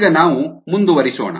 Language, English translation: Kannada, now let's get back